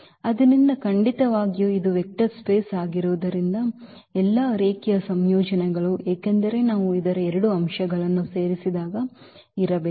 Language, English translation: Kannada, So, definitely because this is a vector space all the all linear combinations because when we add two elements of this must be there